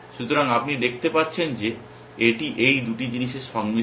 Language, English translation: Bengali, So, you can see it is a combination of these two things